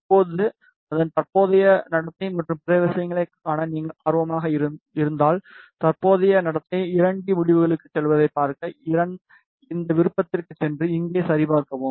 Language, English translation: Tamil, Now, suppose if you are interested to it is see it is current behavior and other things, so to see the current behavior go to 2D results go to this option and check here